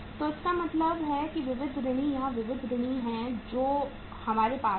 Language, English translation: Hindi, So it means the sundry debtors are sundry debtors here we have